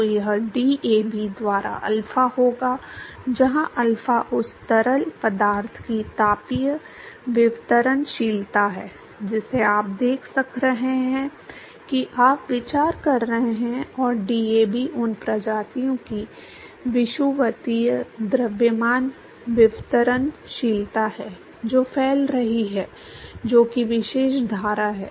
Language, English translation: Hindi, So, that will be alpha by DAB, where alpha is the thermal diffusivity of the fluid that you are look that you are considering and DAB is the equimolar mass diffusivity of the species that are diffusing that is that particular stream